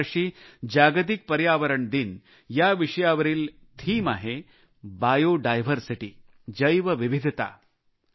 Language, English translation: Marathi, The theme for this year's 'World Environment Day' is Bio Diversity